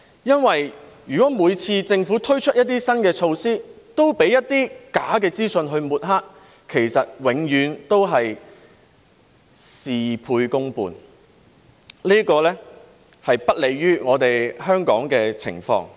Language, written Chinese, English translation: Cantonese, 因為如果政府每次推出新措施，都被一些假資訊抹黑，其實永遠只會事倍功半，這是不利香港的情況。, Because if every time the Government introduces a new measure it is smeared by false information then it will always only get half the result with twice the effort which is unfavourable to Hong Kong